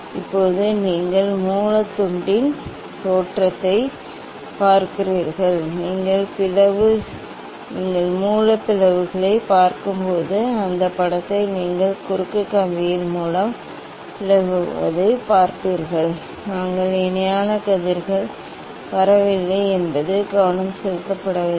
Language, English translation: Tamil, Now, you look at the look at the source slit, when you look at the source slit, you will see that image your seeing of the source slit at the cross wire, it is not it is defocused that we parallel rays are not coming because this is set for parallel rays